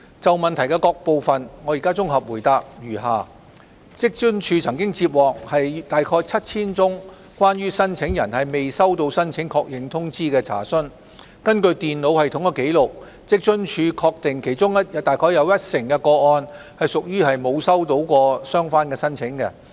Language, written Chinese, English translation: Cantonese, 就主體質詢的各部分，我現綜合答覆如下：職津處曾接獲約 7,000 宗關於申請人未收到申請確認通知的查詢，根據電腦系統的紀錄，職津處確定其中約一成的個案屬於沒有收到相關申請。, My consolidated reply to various parts of the main question is as follows WFAO has received about 7 000 enquiries concerning applicants not receiving the acknowledgement . According to the computer system records WFAO confirms that about 10 % of the cases are related to non - receipt of applications